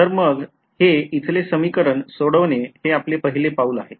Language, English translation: Marathi, So, the first step is to calculate or rather solve this equation over here